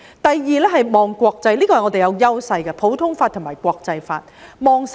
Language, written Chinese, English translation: Cantonese, 第二，一定要"望國際"，這是我們的優勢所在，即普通法和國際法。, Secondly they must look at the world which is where our strengths lie namely in relation to common law and international law